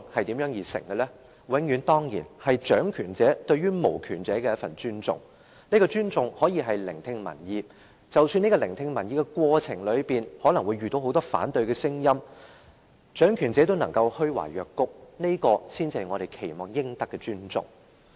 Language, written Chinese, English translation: Cantonese, 當然，永遠是掌權者對無權者的一份尊重，這份尊重可以是聆聽民意，而即使在聆聽民意的過程中，可能會聽到很多反對的聲音，但掌權者若仍然能夠虛懷若谷，這才是我們期望獲得的尊重。, Of course it should always be those in power showing respect for the powerless . Such respect can be manifested by listening to public views . If those in power can remain modest and open - minded even though they may hear a lot of opposition voices in the course of listening to public views this is the kind of respect we expect to receive